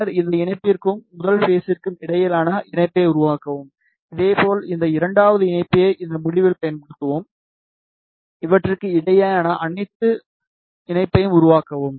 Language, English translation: Tamil, And then make the connection between these connector, and the first step, similarly use this second connector at this end, and make the connection between these ok